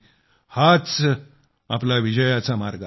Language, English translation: Marathi, This indeed is the path to our victory